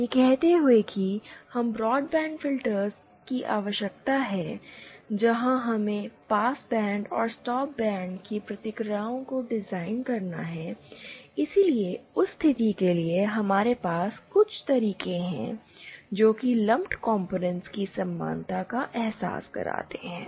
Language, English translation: Hindi, Having said that, we do have a need for say broadband filters where we have to design the responses of the passband and the stop band, so for that cases, we do have some methods to realise the equivalence of lumped components